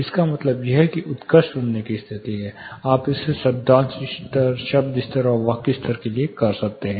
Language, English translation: Hindi, It means it is an excellent listening condition; you can do this for syllable level, word level and sentence level